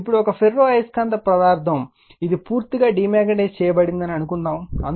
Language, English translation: Telugu, Now, suppose let a ferromagnetic material, which is completely demagnetized that is one in which B is equal to H is equal to 0